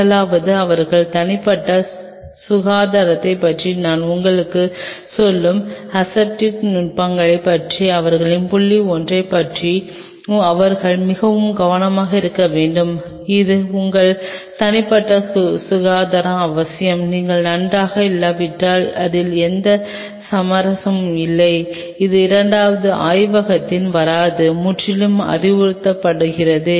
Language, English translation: Tamil, First of all, they should be very careful about their point one on the aseptic techniques I will tell you about their personal hygiene this is must the must your personal hygiene, there is no compromise on it if you are not well it is absolutely advisable that do not come to lab second